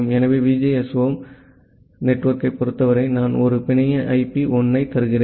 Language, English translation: Tamil, So, for the VGSOM network, I am giving a network IP of 1 0